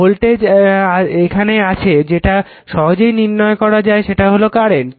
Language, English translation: Bengali, So, voltage is here easily you can find out what will be the current right